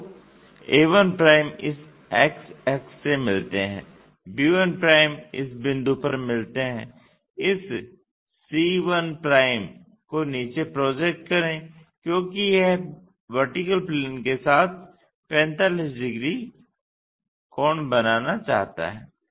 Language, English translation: Hindi, So, a 1' meeting this x axis, b 1' meeting at this point, project this c 1' all the way down because it is supposed to make 45 degrees with VP